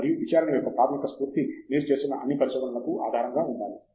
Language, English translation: Telugu, And that basic spirit of enquiry needs to be at the basis of all of your research that you are doing